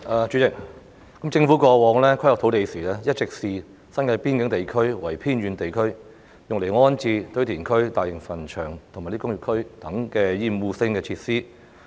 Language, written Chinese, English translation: Cantonese, 主席，政府過往在規劃土地時，一直視新界邊境地區為偏遠地區，用來安置堆填區、大型墳場及工業區等厭惡性設施。, President in planning the use of land in the past the Government had always regarded the frontier areas in the New Territories as remote areas for the relocation of obnoxious facilities such as landfills large cemeteries and industrial estates